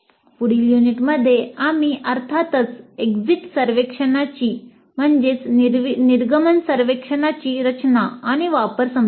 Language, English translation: Marathi, And in the next unit we'll understand the design and use of course exit survey